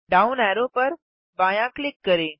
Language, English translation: Hindi, Left click the down arrow